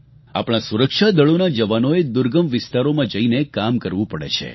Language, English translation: Gujarati, Jawans from our security forces have to perform duties in difficult and remote areas